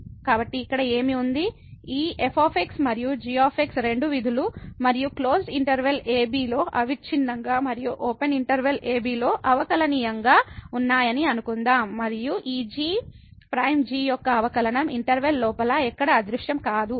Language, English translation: Telugu, So, what is this here let us go through the, suppose this and are two functions and continuous in closed interval and differentiable in open interval and this prime the derivative of does not vanish anywhere inside the interval